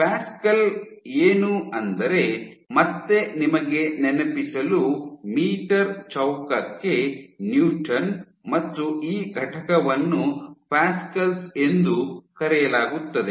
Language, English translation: Kannada, So, again just to remind you pascals is Newton per meter square this unit is called pascals